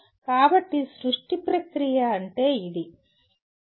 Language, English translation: Telugu, So that is what is create process